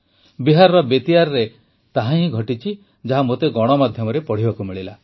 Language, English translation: Odia, This very thing happened in Bettiah, about which I got to read in the media